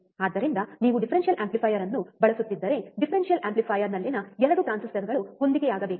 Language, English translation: Kannada, So, if you are using differential amplifier, the 2 transistors in the differential amplifier should be matching